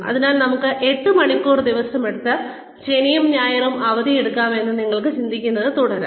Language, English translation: Malayalam, So, you can keep thinking that, we will have an eight hour day, and take Saturday and Sunday off